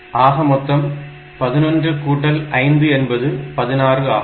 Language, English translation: Tamil, So, 11 plus 5 is 16